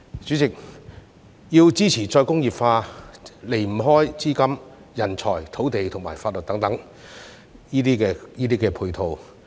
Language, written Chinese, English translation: Cantonese, 主席，要支持再工業化，離不開資金、人才、土地及法律等配套。, President support to re - industrialization cannot go without capital talent land and legal system etc